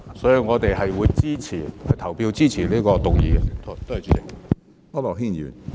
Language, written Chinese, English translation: Cantonese, 所以，我們會表決支持這項修正案，多謝主席。, Therefore we will vote in favour of the amendment . Thank you President